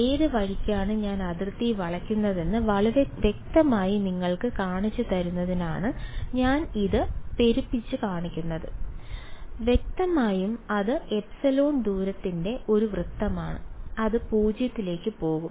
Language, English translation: Malayalam, I am exaggerating it to show you very clearly which way I am bending the boundary where; obviously, that is a it is a circle of radius epsilon which will go to 0